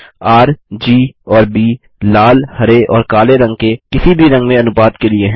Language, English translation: Hindi, R,G and B stands for the proportion of red, green and blue in any color